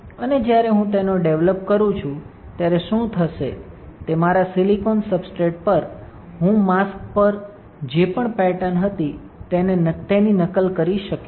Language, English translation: Gujarati, And when I develop it what will happen is that on my silicon substrate, I will be able to replicate whatever pattern was there on the mask